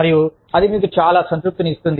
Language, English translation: Telugu, And, that will give you, so much of satisfaction